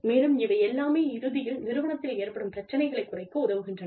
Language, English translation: Tamil, And, all of this helps reduce the problems, the organization has in the end